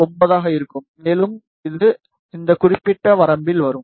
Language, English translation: Tamil, 9, and it will come in this particular range